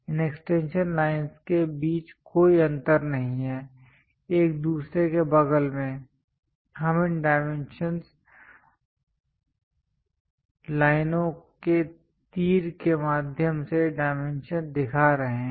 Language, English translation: Hindi, There is no gap between these extension lines, next to each other we are showing dimensions, through these dimension lines arrows